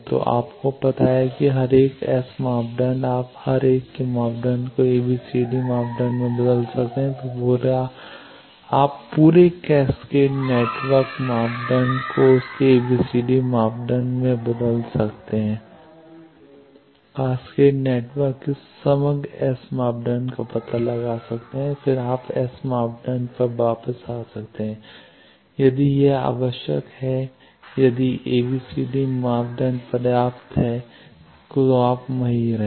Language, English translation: Hindi, So, you know each ones S parameter you can convert each ones S parameter to its ABCD parameter then you can find out overall S parameter of the whole cascaded network and then again you can come back to S parameter if that is required or if is ABCD parameter is sufficient you stay there